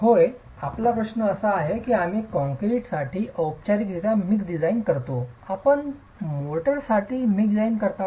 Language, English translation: Marathi, Your question is like we do a formal mixed design for concrete, do you do a mixed design for mortar